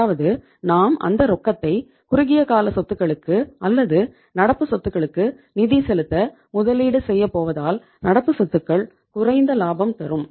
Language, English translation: Tamil, So it means since we are going to invest that cash that that finance to finance the short term assets or current assets and current assets are least productive